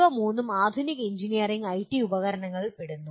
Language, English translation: Malayalam, All the three are involved of modern engineering and IT tools